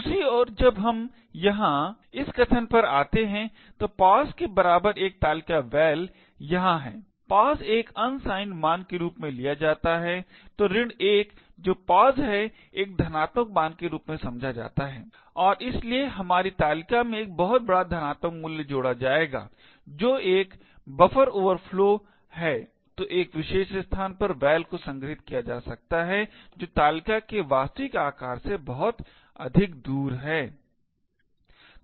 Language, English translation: Hindi, On the other hand when we come to this statement over here a table of pos equal to val over here pos is taken as an unsigned value so the minus 1 which is pos is interpreted as a positive value and therefore we would have a table added to a very large positive value which is a causing a buffer overflow, so the val could be stored in a particular location which is much further away than the actual size of the table